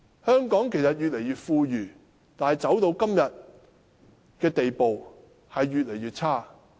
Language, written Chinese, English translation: Cantonese, 香港越來越富裕，但市民的生活質素卻越來越差。, Hong Kong is getting richer but the living standard of Hong Kong people is getting lower